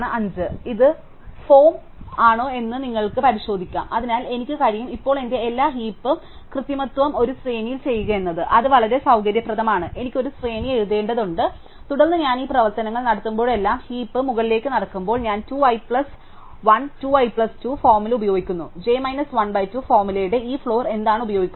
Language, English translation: Malayalam, So, you can check that this is formed, so therefore I can now do all my heap manipulation with in an array, which is very convenient I just have to write an array and then whenever I do these operations which involve walking up and down the heap I will just uses 2 i plus 1 2 i plus 2 formula what are use this floor of j minus 1 by 2 formula